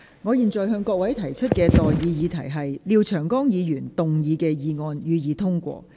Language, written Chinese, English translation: Cantonese, 我現在向各位提出的待議議題是：廖長江議員動議的議案，予以通過。, I now propose the question to you and that is That the motion moved by Mr Martin LIAO be passed